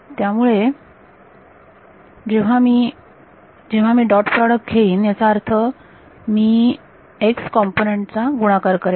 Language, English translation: Marathi, So, when I when I take dot product means I multiply the x components you will have y squared